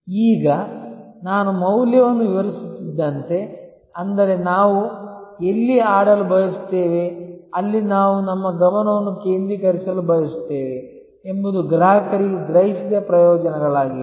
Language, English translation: Kannada, Now, as I was explaining the value, which is therefore, the arena ever where we want to play, where we want to focus our attention is the perceived benefits to customer